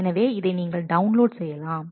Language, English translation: Tamil, So, you can download